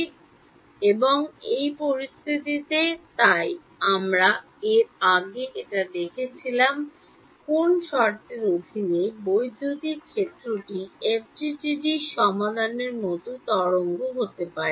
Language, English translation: Bengali, Now uh under what conditions, so we have looked at this before under what conditions will the electric field be a wave like solution in FDTD